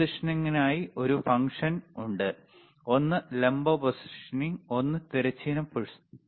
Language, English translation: Malayalam, So, there is a function for positioning right, one is vertical positioning, one is horizontal positioning